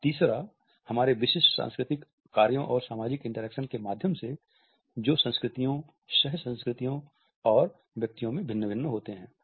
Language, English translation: Hindi, And thirdly, through culture is specific tasks and social interactions that do vary across cultures, co cultures and individuals